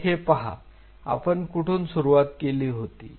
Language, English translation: Marathi, Now having seen this where we started